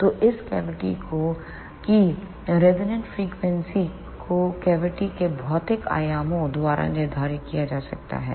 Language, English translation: Hindi, So, the resonant frequency of this cavity can be determined by the physical dimensions of the cavity